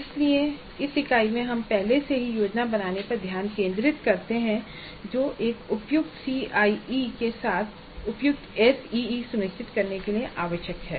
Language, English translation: Hindi, So in this unit we focus on the planning upfront that is required to ensure quality CIE as well as quality SEA